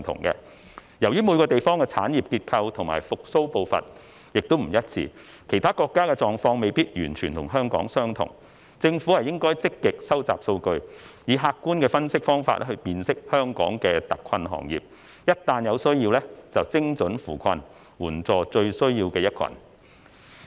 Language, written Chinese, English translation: Cantonese, 由於每個地方的產業結構和復蘇步伐不—致，其他國家的狀況未必與香港完全相同，政府應該積極收集數據，以客觀的分析方法來辨識香港的特困行業，一旦有需要便精準扶困，援助最有需要的一群。, As the industrial structure and recovery pace vary in different places the situation in other countries may not be identical to that in Hong Kong . The Government should proactively collect statistics for objective analysis to identify the hard - hit industries in Hong Kong so as to offer targeted support to those most in need